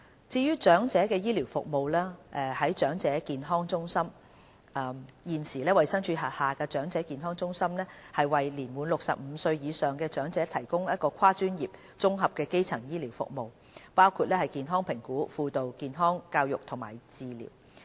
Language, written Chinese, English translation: Cantonese, 至於長者醫療服務，在長者健康中心方面，現時衞生署轄下的長者健康中心為年滿65歲或以上的長者提供跨專業的綜合基層健康服務，包括健康評估、輔導、健康教育和治療。, On the provision of elderly health care services the Elderly Health Centres EHCs under HA adopt a multidisciplinary approach in providing integrated primary health care services including health assessment counselling health education and treatment to elderly people aged 65 or above